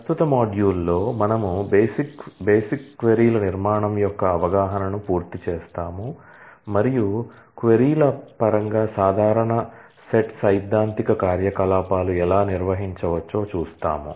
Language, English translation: Telugu, In the current module we will complete the understanding of the basics queries structure and will see how, common set theoretic operations can be performed in terms of queries